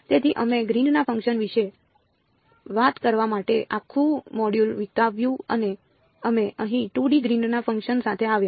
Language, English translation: Gujarati, So, we spent an entire module talking about the Green’s function and we came up with the 2D Green’s function as here right